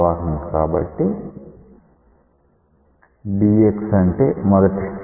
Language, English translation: Telugu, So, dx so we are talking about first streamline